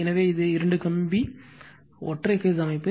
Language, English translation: Tamil, So, this is two wire single phase system